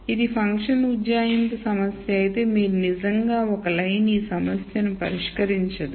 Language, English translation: Telugu, If this were a function approximation problem you could really say well a single line will not solve this problem